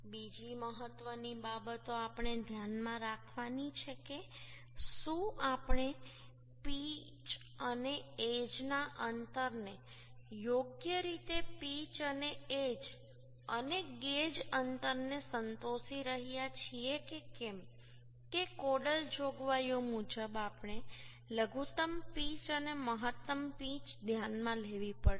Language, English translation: Gujarati, Another important things we have to keep in mind that the whether we are satisfying the pitch and edge distance properly pitch and edge and gauge distance because as per codal provisions, we have to consider the minimum pitch and maximum pitch